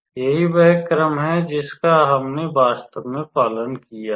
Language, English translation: Hindi, So, that is the order we followed actually